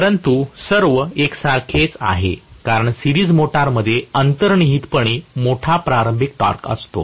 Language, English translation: Marathi, But, all the same, because the series motor inherently has a large starting torque